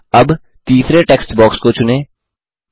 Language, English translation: Hindi, Now, select the third text box